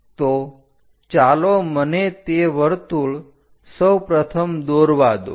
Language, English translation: Gujarati, So, let me draw that part of the circle first of all